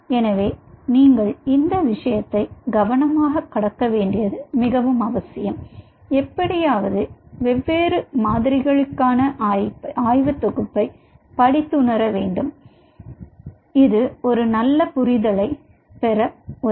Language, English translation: Tamil, so it is very, very essential that you go through this rigor and anyhow be handing over the bunch of reading materials for these different models, which will help you to get a better understanding of it